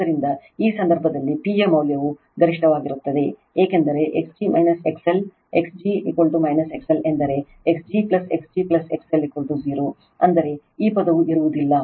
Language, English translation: Kannada, So, in that case the value of the P is maximum, because x g minus X L x g is equal to minus X L means x g plus x g plus X L is equal to 0 I mean this term will not be there